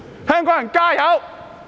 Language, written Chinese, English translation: Cantonese, 香港人加油！, Add oil Hongkongers!